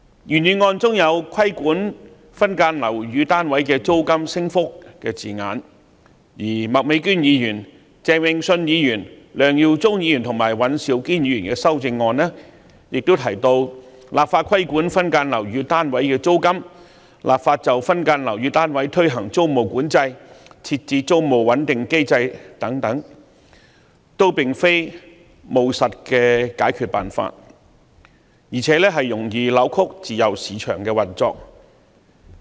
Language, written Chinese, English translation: Cantonese, 原議案中有"規管分間樓宇單位的租金升幅"的字眼，而麥美娟議員、鄭泳舜議員、梁耀忠議員和尹兆堅議員的修正案分別提及"立法規管分間樓宇單位的租金"、"立法就分間樓宇單位推行租務管制"、"設置租務穩定機制"等，均並非務實的解決辦法，而且容易扭曲自由市場的運作。, The original motion contains the wording regulating the rate of rental increase for subdivided units while the amendments proposed by Ms Alice MAK Mr Vincent CHENG Mr LEUNG Yiu - chung and Mr Andrew WAN mention enacting legislation to regulate the rental of subdivided units legislating for the introduction of tenancy control for subdivided units and putting in place a rental stabilization mechanism etc . respectively . These are not pragmatic solutions and are likely to distort the free market operation